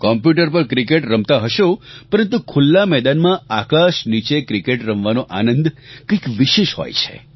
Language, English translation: Gujarati, You must be playing cricket on the computer but the pleasure of actually playing cricket in an open field under the sky is something else